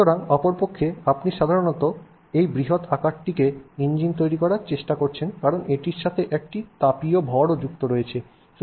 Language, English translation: Bengali, So, in other words, you are trying to normally engine this large size because of its mass, it also has a thermal mass associated with it